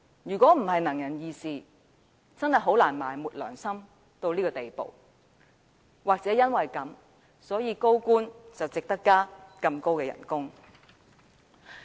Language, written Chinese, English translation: Cantonese, 如果不是"能人異士"，真的很難埋沒良心到這個地步；或許就是因為這樣，高官才值得大幅加薪。, If they are not able persons they can hardly bury their conscience to such an extent and probably for this reason senior officials deserve a significant pay rise